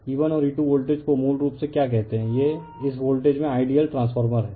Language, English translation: Hindi, What you call E 1 and E 2 voltage basically you can say this is the ideal transformer in this voltage